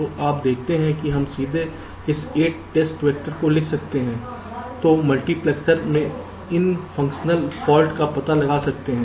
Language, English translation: Hindi, we have written down this: eight test vectors that can detect these fuctional faults in the multiplexer